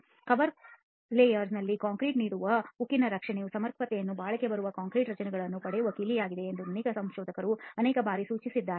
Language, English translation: Kannada, So again as many researchers have pointed out multiple number of times the adequacy of protection to steel offered by concrete in the cover layer is the key to obtaining durable concrete structures